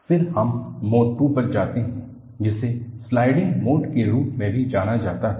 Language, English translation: Hindi, Then, we move on to Mode II, which is also known as a Sliding Mode